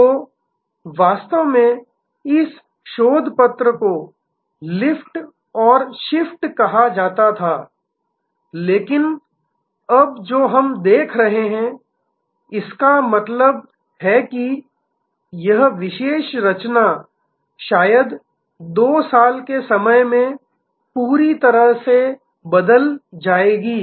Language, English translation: Hindi, So, a lot of that was actually this research paper has called lift and shift, but what we are now seeing; that means, this particular composition will perhaps totally change in 2 years time